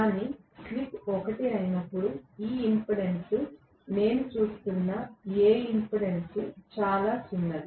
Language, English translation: Telugu, But when the slip is 1 this impedance, whatever impedance I am looking at is very small